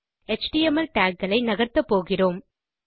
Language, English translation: Tamil, We are also going to move html tags